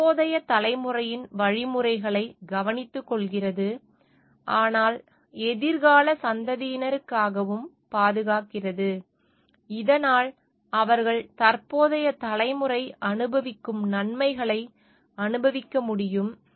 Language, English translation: Tamil, And takes care of the means of the present generation, but also preserve for the future generation, so that they can also enjoy the benefits, which the present generation is enjoying